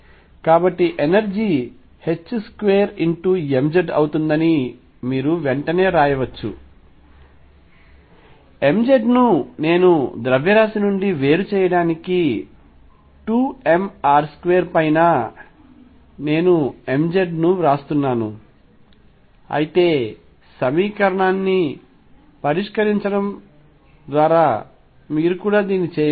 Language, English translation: Telugu, So, you can immediately write that the energy is going to be h cross square m z i am writing m z to differentiate from mass over 2 m r m z 2 square for to r square, but you can also do it if you want by solving the equation